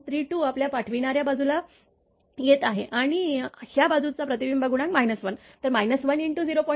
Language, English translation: Marathi, 32 is coming to the your sending end side and this side reflection coefficient is minus 1, so minus 1 to 0